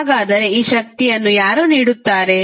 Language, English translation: Kannada, So, who will provide this energy